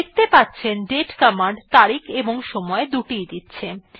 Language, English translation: Bengali, As we can see the date command gives both date and time